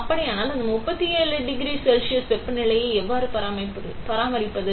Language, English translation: Tamil, So, how do you maintain that 37 degree Celsius temperature